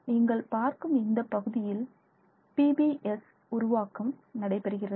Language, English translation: Tamil, So, this is where you will have your PBS forming